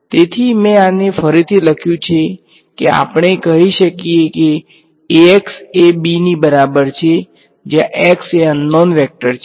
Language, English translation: Gujarati, So, I have rewritten this into we can say Ax is equal to b where x is the unknown vector